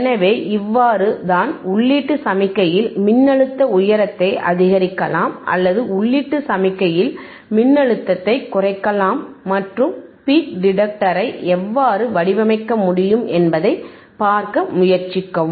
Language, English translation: Tamil, So, this is how you can you can increase the voltage height and in the input signal or decrease voltage in the input signal and try to see how you can how you can design the peak detector